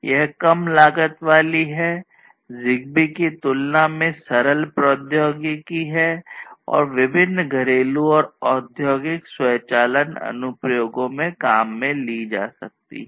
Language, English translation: Hindi, It is low cost, simpler technology compared to ZigBee and you know it can be used to support different home and you know industrial automation applications